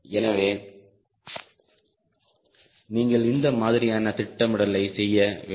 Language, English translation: Tamil, so that sort of planning you have to do